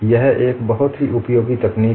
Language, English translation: Hindi, It is a very useful technique